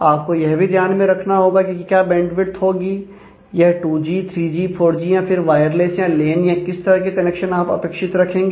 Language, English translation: Hindi, You have to consider what should be the band width should it be 2 G, 3 G, 4 G or wireless you know LAN, what kind of connections you would expect